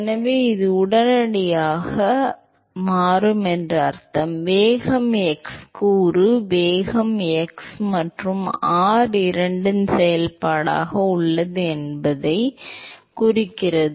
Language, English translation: Tamil, So, this immediately means; so, this immediately implies that the velocity x component velocity is now a function of both x and r